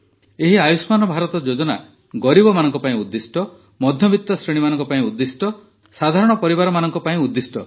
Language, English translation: Odia, This Ayushman Bharat scheme, it is for the poor, it is for the middle class, it is for the common families, so this information must be conveyed to every house by You